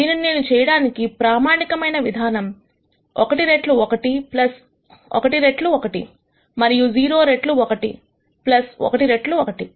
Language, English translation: Telugu, The standard way of doing this would be one times one plus 1 times one and 0 times 1 plus 1 times 1